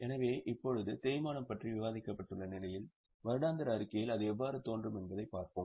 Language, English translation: Tamil, Now having discussed about depreciation, let us have a look at how it appears in the annual report